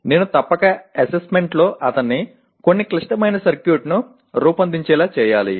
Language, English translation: Telugu, I must, assessment should include making him design some complex circuit